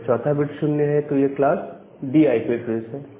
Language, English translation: Hindi, If the fourth bit is 0, then it is class D IP address